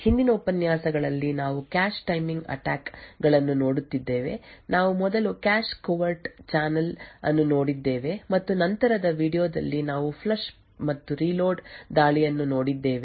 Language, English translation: Kannada, In the previous lectures we have been looking at cache timing attacks, we had looked at the cache covert channel first and then in the later video we had looked at the Flush + Reload attack